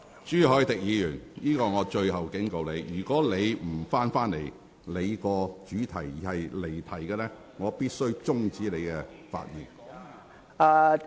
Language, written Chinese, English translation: Cantonese, 朱凱廸議員，這是最後警告，如果你仍不返回有關議題，而繼續發言離題，我必須指示你停止發言。, Mr CHU Hoi - dick this is my last warning . If you still refuse to return to the subject concerned and continue to stray away from it in your speech I must direct you to stop speaking